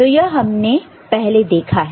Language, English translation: Hindi, So, this is we already have seen